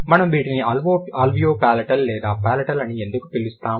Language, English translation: Telugu, Why we call it alveopalatal or palatal